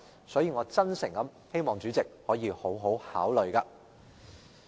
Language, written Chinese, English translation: Cantonese, 所以，我真誠希望主席可以好好考慮。, Therefore I hope sincerely that the President could give this serious consideration